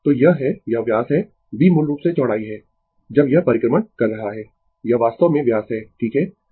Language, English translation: Hindi, So, this is your this is the diameter, b is the breadth basically when it is revolving, it is actually diameter right